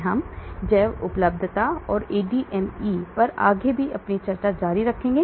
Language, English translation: Hindi, So we will continue further on the bioavailability and ADME